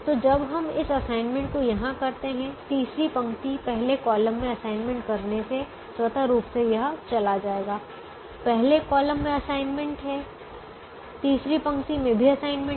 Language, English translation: Hindi, so when we make this assignment here, automatically this will go because by making an assignment in the third row, first column, the first column has an assignment